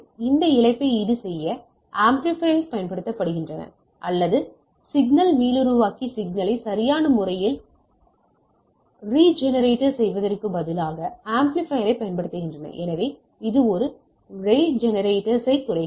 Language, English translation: Tamil, To compensate this loss the amplifier are used to or signal regenerator I used to say instead of amplifier are used to regenerate the signal right, so it has the degrader a regenerator